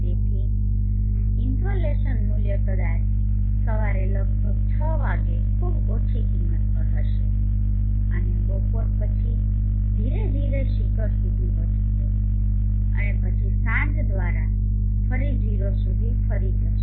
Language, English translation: Gujarati, So insulation value would probably be at a pretty low value at around 6 o clock in the morning and gradually increase to a peak at noon and then further decrease again to 0 by dusk